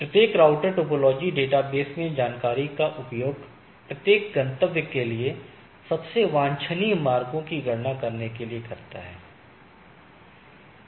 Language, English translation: Hindi, Each router uses the information in the topology database to compute the most desirable routes to the each destination